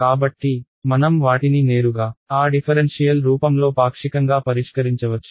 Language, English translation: Telugu, So, I can solve them directly in partial in that differential form